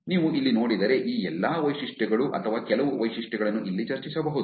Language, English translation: Kannada, If you see here, all these features, some of these features can be discussed here